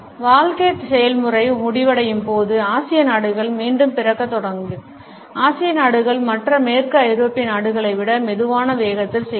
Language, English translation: Tamil, When the process of life ends the Asian countries will start at birth again, the Asian countries are slower paced and the western European countries